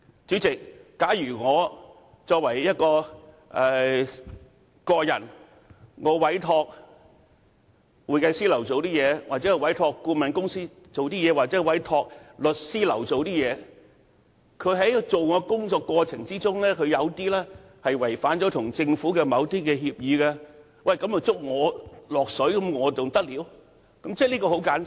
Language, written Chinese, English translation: Cantonese, 主席，假如我個人委託會計師樓，又或是委託顧問公司、律師樓處理我的事務，他們在處理我的事務的過程中，違反跟政府的某些協議，而我竟要因此被拖累，這還得了？, President as in the case of my appointment of an accountant firm a consultant company or a solicitor firm if they violate certain agreement with the Government in the process of handling my businesses and I am dragged in because of their actions it will be totally unacceptable